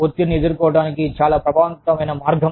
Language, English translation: Telugu, One very effective way of dealing with stress